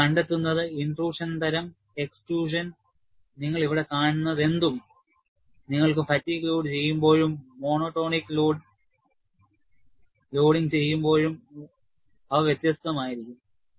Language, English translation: Malayalam, And what you find is, the type of the intrusion, extrusion, whatever you see here, they are different, when you have fatigue loading and when you have monotonic loading